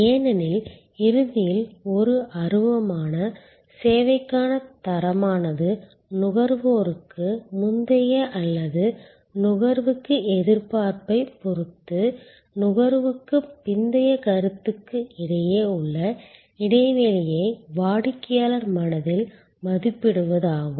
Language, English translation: Tamil, Because, ultimately quality for an intangible service is the valuation in the customers mind of the gap between the post consumption perception with respect to the pre consumption or in consumption expectation